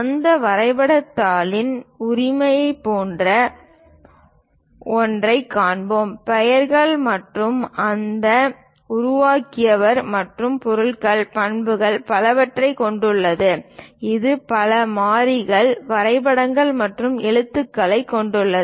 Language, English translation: Tamil, And we will see something like a ownership of that drawing sheet; contains names and whoever so made it and what are the objects, properties, and so on so things; it contains many variables, diagrams, and letters